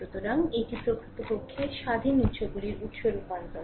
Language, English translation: Bengali, So, this is actually source transformation for independent sources